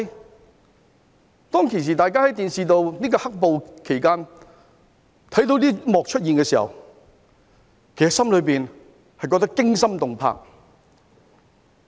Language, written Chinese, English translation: Cantonese, 在"黑暴"期間大家在電視看到這幕出現的時候，其實心裏覺得驚心動魄。, During the black - clad violence we found such scenes on the television extremely disturbing